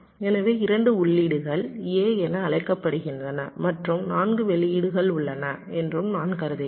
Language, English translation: Tamil, so i am assuming that that two inputs is called a and there are four outputs